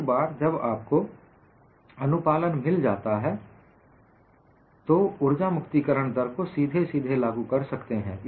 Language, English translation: Hindi, So, once you get the compliance, energy release rate is straight forward to apply